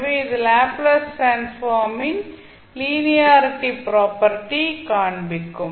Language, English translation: Tamil, So this will be showing the linearity property of the Laplace transform